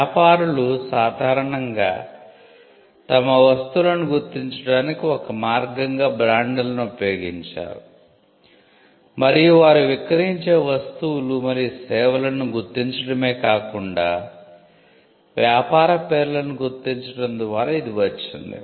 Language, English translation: Telugu, So, traders usually used brands as a means to identify their goods and this came up by not only identifying them goods and services they were selling, but also to identify the business names